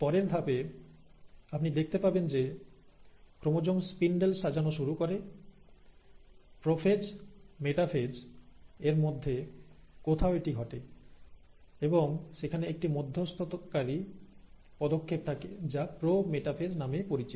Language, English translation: Bengali, At the next step, you find that the chromosomes start arranging in the spindle and this happens somewhere in between prophase and metaphase, and there is an intermediary step which is also called as the pro metaphase